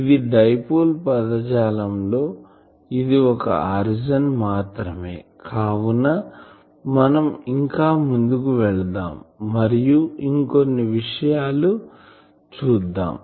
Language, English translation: Telugu, So, this is the origin of this dipole terminology and but let us go ahead and see more things that